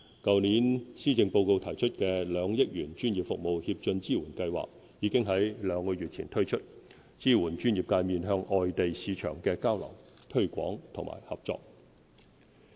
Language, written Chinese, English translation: Cantonese, 去年施政報告提出的2億元"專業服務協進支援計劃"，已於兩個月前推出，支援專業界面向外地市場的交流、推廣和合作。, The 200 million Professional Services Advancement Support Scheme announced in last years Policy Address was launched two months ago to support the professional sectors in their exchanges cooperation and related publicity efforts targeting overseas markets